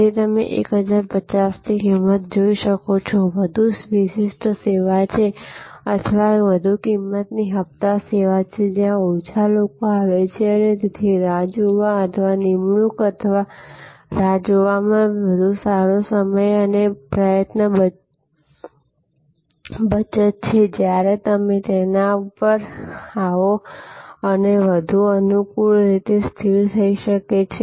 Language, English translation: Gujarati, So, as you can see for at price of 1050, this is the more exclusive service or more a higher price premium service, where fewer people come and therefore, there is a better time and effort saving of waiting or for appointment or waiting, when you arrive their and it may be more conveniently located and so on